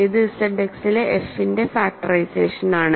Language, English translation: Malayalam, So, this is factorization of f in Z X